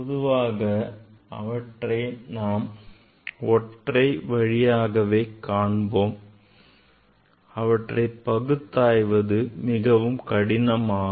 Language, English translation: Tamil, In generally we see them as a one line; it is very difficult to resolve them